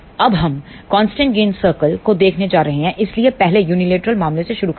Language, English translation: Hindi, Now we are going to look at constant gain circle, so, will first start with the unilateral case